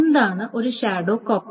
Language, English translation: Malayalam, Now what is a shadow copy